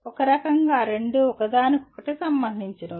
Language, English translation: Telugu, In some sense both are related to each other